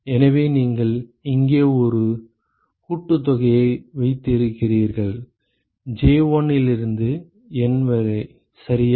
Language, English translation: Tamil, So, similarly you have a summation here j going from 1 to N ok